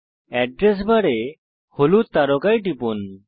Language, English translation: Bengali, In the Address bar, click on the yellow star